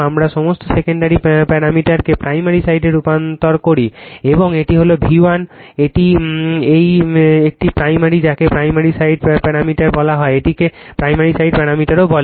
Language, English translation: Bengali, We transform all the all the secondary parameters to the primary side, right and this is my V 1, this is my this one my primary is your what you call the parasite parameter this one also primary side parameters